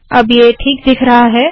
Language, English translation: Hindi, So now it looks okay